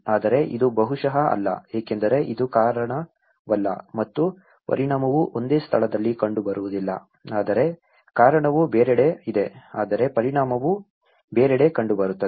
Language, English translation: Kannada, But this is not maybe, as it is not the cause and the impact is not seen at one place but cause is somewhere else but the impact is also seen somewhere else